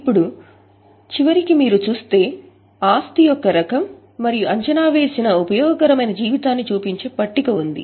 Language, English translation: Telugu, Now, in the end if you look there is a table which is showing the type of the asset and estimated useful life